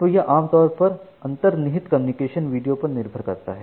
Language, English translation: Hindi, So, usually depends on the underlying communication video